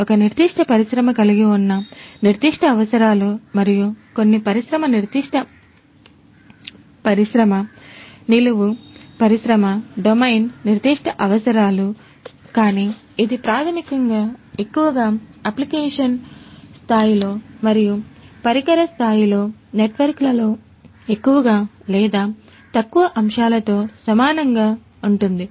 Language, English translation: Telugu, The specific requirements that a particular industry has and certain industry specific industry, vertical industry domain specific requirements, but that is basically mostly dealt with in the application level and at the network at the device level more or less the concepts remain similar